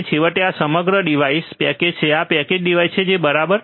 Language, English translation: Gujarati, And finally, this whole device is packaged, this is a packaged device right